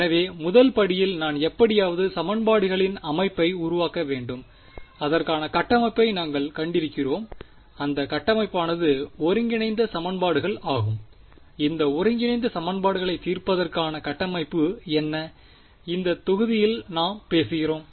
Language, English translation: Tamil, So, first step 1 I have to somehow get into formulating a system of equations and we have seen the framework for it and that framework is integral equations what is the framework for solving integral equations, we have we are talking about in this module